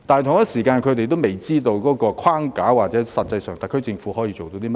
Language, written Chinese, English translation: Cantonese, 同時，他們仍未知道有關框架及特區政府實際上可以做到甚麼。, Meanwhile however they still have no idea as to the Framework Agreement and the actual work which the SAR Government can do